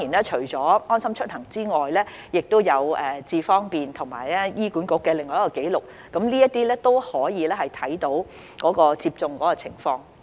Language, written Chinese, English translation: Cantonese, 除了"安心出行"之外，亦可從"智方便"及醫院管理局的紀錄看到疫苗接種的情況。, Apart from LeaveHomeSafe people can also view the status of their vaccination in iAM Smart and the records of the Hospital Authority